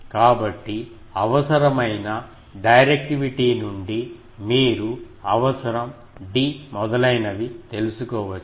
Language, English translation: Telugu, So, required from required directivity you can find out what is d etc